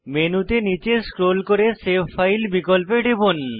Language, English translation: Bengali, Scroll down the menu and click on save file option